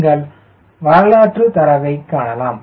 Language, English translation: Tamil, you can see historical data